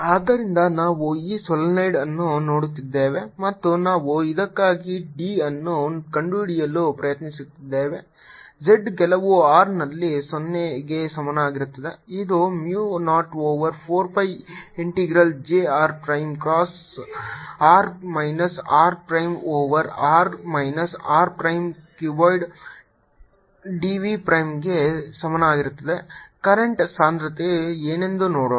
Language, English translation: Kannada, so let's see, we are looking at this solenoid and we are trying to find d for this at z equal to zero, at some r which is equal to mu, zero over four pi integral j r prime cross r minus r prime over r minus r prime, cubed d v prime